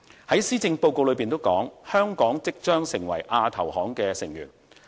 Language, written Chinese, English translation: Cantonese, 如施政報告所說，香港即將成為亞投行的成員。, As stated in the Policy Address Hong Kong will become a member of AIIB